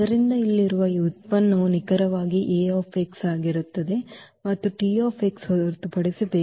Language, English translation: Kannada, So, this product here Ax will be exactly this one which is nothing but the T x